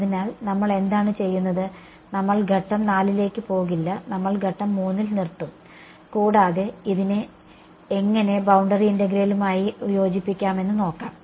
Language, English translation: Malayalam, So, what we will do is we will not go to step 4 we will stop at step 3 and we will see how we can marry it with boundary integral ok